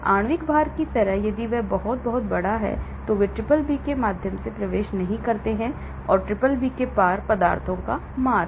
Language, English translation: Hindi, like molecular weight, if it is very, very large of course, they do not enter through the BBB, passage of substances across the BBB